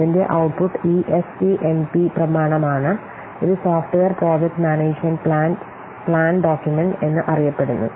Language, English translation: Malayalam, The output of software project management is this SPMP document, which is known as software project management plan document